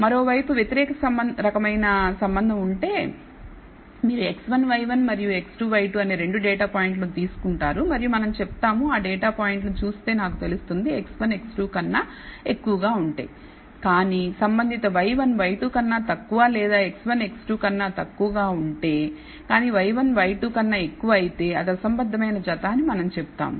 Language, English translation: Telugu, On the other hand if there is an opposite kind of relationship, so, if you take 2 data points x 1, y 1 and x 2 y 2 and we say that you know we look at the data points and find that if x 1 is greater than x 2, but the corresponding y 1 is less than y 2 or if x 1 is less than x 2, but y 1 is greater than y 2 then we say it is a discordant pair